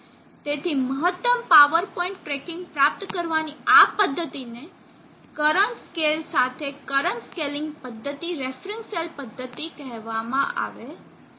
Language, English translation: Gujarati, So this method of obtaining maximum power point tracking is called the current scaling method reference cell method with current scale